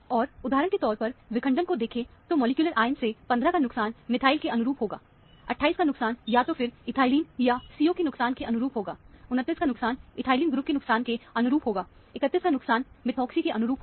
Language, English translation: Hindi, And, look for familiar fragmentations in the, from the molecular ion; for example, a loss of 15 would correspond to methyl; a loss of 28 would correspond to either a loss of ethylene, or a CO; loss of 29 would correspond to an ethyl group loss; loss of 31 would be a methoxy, and so on